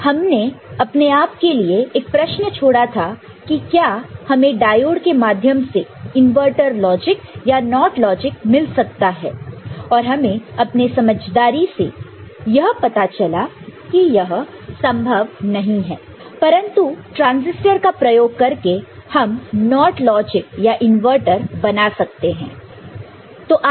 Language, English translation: Hindi, We left ourselves with a question that whether you can get an inverter logic or NOT logic using diode which we found that from our common understanding it is not possible, but transistors can be used for generating NOT logic or inverter ok